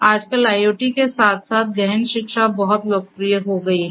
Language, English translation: Hindi, Nowadays, deep learning along with IoT has become very popular together